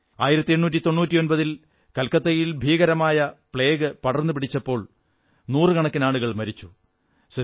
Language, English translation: Malayalam, In 1899, plague broke out in Calcutta and hundreds of people lost their lives in no time